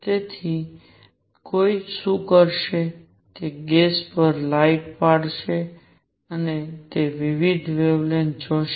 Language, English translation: Gujarati, So, what one would do is shine light on gas and see different wavelengths